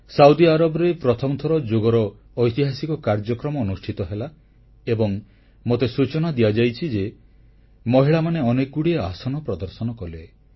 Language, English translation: Odia, Saudi Arabia witnessed its first, historic yoga programme and I am told many aasans were demonstrated by women